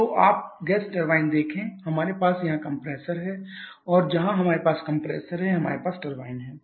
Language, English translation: Hindi, So, you see the gas turbine we have the compressor here and where we have the compressor there we have the turbine